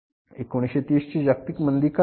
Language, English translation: Marathi, What is that global recession of 1930s